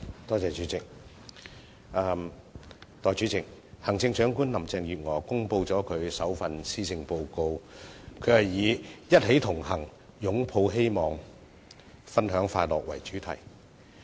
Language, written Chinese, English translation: Cantonese, 代理主席，行政長官林鄭月娥公布了其首份施政報告，以"一起同行、擁抱希望、分享快樂"為主題。, Deputy President Chief Executive Carrie LAM has delivered her maiden Policy Address on the theme We Connect for Hope and Happiness